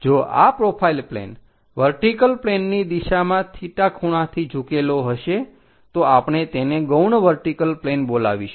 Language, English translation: Gujarati, If this profile plane tilted in the direction of vertical plane with an angle theta, we call that one as auxiliary vertical plane